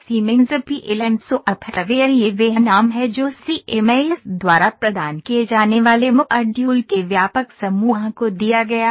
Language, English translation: Hindi, Siemens PLM software this is the name given to the broader group of modules that Siemens provide